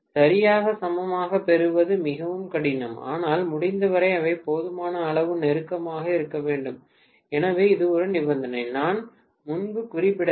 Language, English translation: Tamil, Exactly equal is very difficult to get but as much as possible they should be close enough, so that is one more condition which I didn’t mention earlier